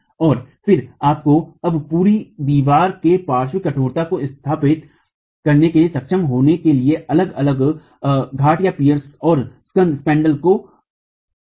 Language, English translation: Hindi, And then you now need to assemble the different peers and the spandrels to be able to establish the lateral stiffness of the entire wall